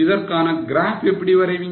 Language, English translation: Tamil, How will you draw a graph for it